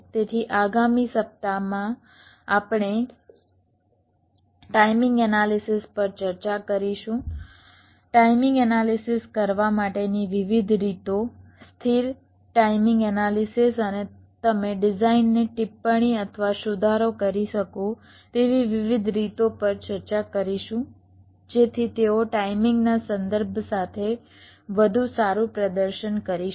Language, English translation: Gujarati, so in the next week we shall be starting our discussion on the timing analysis, the various ways you can carry out timing analysis, static timing analysis and ways in which you can annotate or modify a design so that they perform better with respect to timing